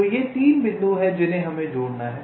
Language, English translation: Hindi, so these are the three points i have to connect